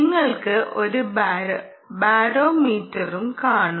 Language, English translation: Malayalam, you can also have a barometer